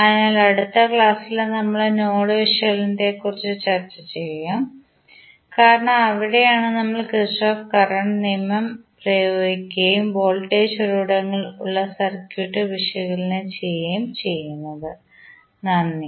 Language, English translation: Malayalam, So, in the next class we will discuss about the node analysis because that is where we will apply our Kirchhoff Current Law and analyze the circuit where voltage sources are there, thank you